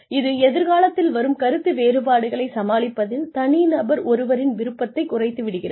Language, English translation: Tamil, It reduces the preference of individuals, for handling future disagreements